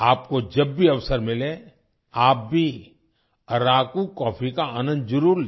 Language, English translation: Hindi, Whenever you get a chance, you must enjoy Araku coffee